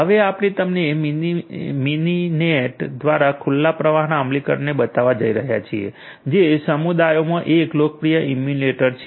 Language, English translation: Gujarati, We are now going to show you the implementation of open flow through Mininet which is a popular emulator that is there in the community